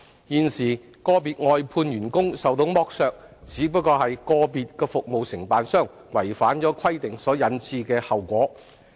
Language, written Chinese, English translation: Cantonese, 現時個別外判員工受到剝削，只是個別服務承辦商違反規定所引致的後果。, The current exploitation of individual outsourced workers is just the outcome of non - compliance with the requirements by individual service contractors